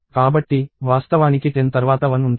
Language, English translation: Telugu, So, that is actually 10 followed by a 1